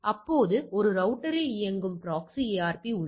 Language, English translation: Tamil, Now a proxy ARP running in a router can so there is a concept of proxy ARP